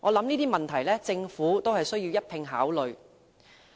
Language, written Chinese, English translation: Cantonese, 這些問題均是政府須一併考慮的。, The Government should take all these questions into account